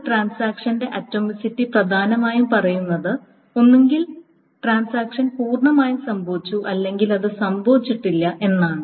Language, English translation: Malayalam, So the atomicity of a transaction, the atomicity of a transaction essentially says that either the transaction has completely happened or it has not happened at all